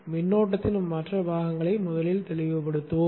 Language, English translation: Tamil, Let us first clarify the other components of the current